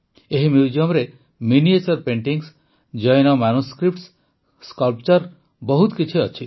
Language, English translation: Odia, This museum has miniature paintings, Jaina manuscripts, sculptures …many more